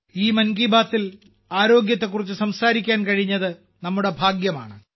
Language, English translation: Malayalam, It is our privilege to talk about mental health in this Mann Ki Baat